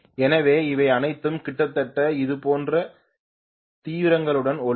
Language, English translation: Tamil, So we will have all of them glowing almost similarly with similar intensities